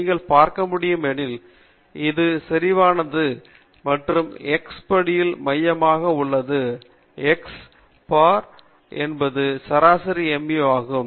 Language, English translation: Tamil, As you can see, this is nicely symmetrical and it is centered at x bar, x bar is also the mean mu